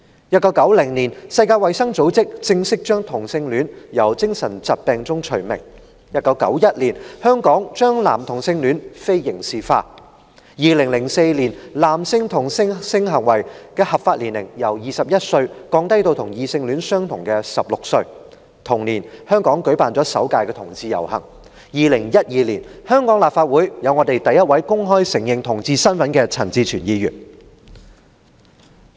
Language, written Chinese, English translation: Cantonese, 1990年，世界衞生組織正式將同性戀從精神疾病名單中剔除 ；1991 年，香港將男同性戀非刑事化 ；2004 年，男性同性性行為的合法年齡由21歲降低至與異性戀相同的16歲，同年，香港舉辦了首屆同志遊行 ；2012 年，香港立法會出現第一位公開承認其同志身份的陳志全議員。, In 1990 the World Health Organization officially removed homosexuality per se from the International Classification of Diseases ; in 1991 decriminalization of homosexuality took effect in Hong Kong; in 2004 the legal age of consent for homosexual buggery was lowered from 21 to 16 same as that for heterosexual intercourse; in that same year Hong Kong saw the first Hong Kong Pride Parade; and in 2012 Mr CHAN Chi - chuen became the first Member of the Legislative Council to openly admit his homosexual orientation